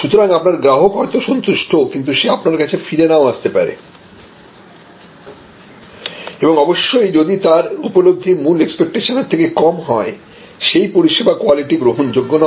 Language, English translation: Bengali, So, even though, you have a satisfied customer, it will not mean a repeat customer and of course, if the perception after the consumption is less than the original expectation, then it is unacceptable service quality